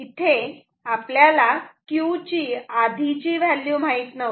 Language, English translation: Marathi, We say that the value of Q will be same as Q previous that